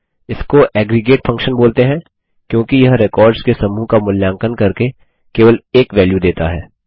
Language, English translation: Hindi, This is called an aggregate function, as it returns just one value by evaluating a set of records